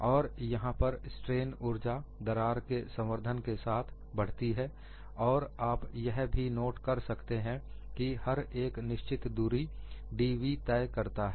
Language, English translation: Hindi, And here, the strain energy increases when the crack advances and you should also note that, the load has moved a finite distance, dv